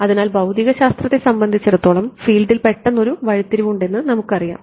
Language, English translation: Malayalam, So, we know that that as far as physics is concerned there is an abrupt turns on the field